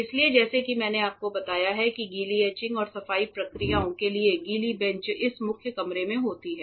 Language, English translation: Hindi, So, as I have told you that wet benches for wet etching and for cleaning processes happen in this main room